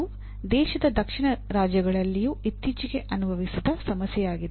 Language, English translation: Kannada, This is also recently experienced problem in the southern states of the country